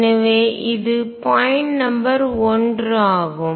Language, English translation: Tamil, So, that is point number 1